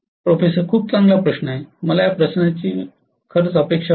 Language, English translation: Marathi, Very good question, I was expecting this question